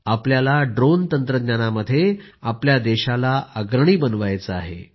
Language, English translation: Marathi, We have to become a leading country in Drone Technology